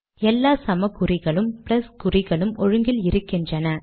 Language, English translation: Tamil, All these equal signs and plus signs are aligned now